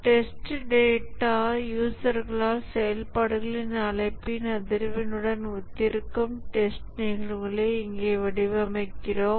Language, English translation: Tamil, Here we design the test cases such that the test data correspond to the frequency of invocation of the functions by the users